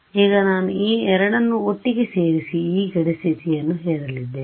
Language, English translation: Kannada, Now I am going to put these two together and impose this boundary condition ok